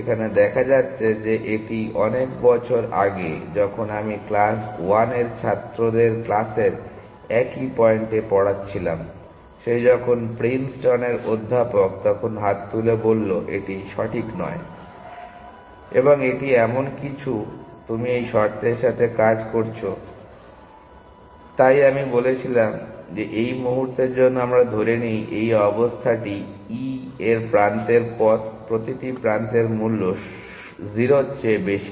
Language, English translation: Bengali, So, as it turns out this was many years ago, when I was teaching the same very point in the class 1 of the students in the class, he is now professor in Princeton raises hand, and said this is not correct; and it something you do with this condition that is why i said for the moment let us assume this this condition is the paths the edge of e, the cost of each edge is greater than 0